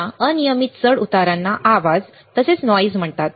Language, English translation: Marathi, This random fluctuation is called noise